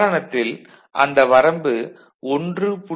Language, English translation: Tamil, In that example it was 1